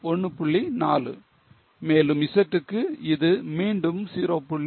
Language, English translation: Tamil, 4, and Z it is again 0